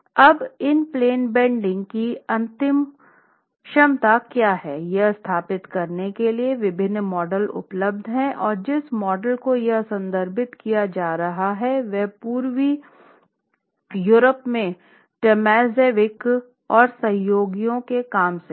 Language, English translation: Hindi, Now, to be able to establish what is the ultimate capacity in bending, in plain bending of this wall, there are different models available and the model that is being referred to here is from work of Tomazevich and colleagues from Eastern Europe